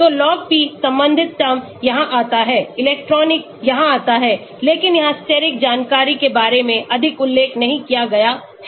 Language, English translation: Hindi, So, the log p related term comes here the electronic comes here but there is no mention much about steric information here